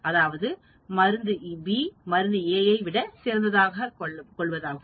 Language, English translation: Tamil, That means, drug B is as good as drug A